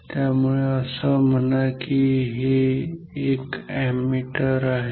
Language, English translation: Marathi, So, say this is an ammeter